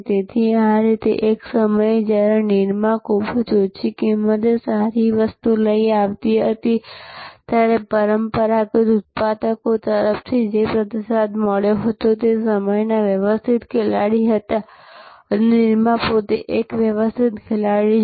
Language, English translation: Gujarati, So, this is how at one time, when a Nirma came with a good product at a very low price, the response from the traditional manufacturers as are the organize players of those days, now Nirma itself is a big organize player